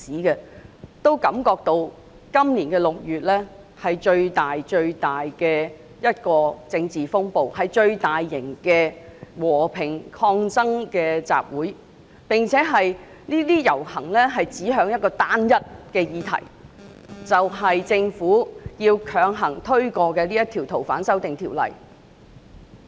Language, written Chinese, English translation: Cantonese, 他們也感覺到今年6月香港出現的政治風暴前所未有，和平抗爭集會的規模亦是最大型的，而遊行均指向單一的議題，就是針對政府企圖強行通過《逃犯條例》的修訂。, They also have the feeling that the political storm which hit Hong Kong in June this year was unprecedented the scale of peaceful protests was larger than ever and the processions have all been directed at one single issue namely the Governments attempt to force through the amendments to the Fugitive Offenders Ordinance